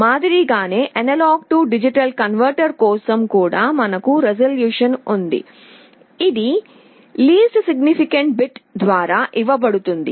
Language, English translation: Telugu, For A/D converter also we have resolution, this is given by the least significant bit